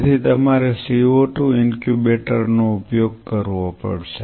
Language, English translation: Gujarati, So, you have to use the co 2 incubator